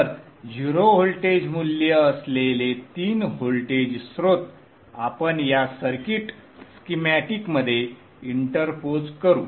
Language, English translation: Marathi, So three voltage sources with zero voltage value we will interpose inside in this circuit schematic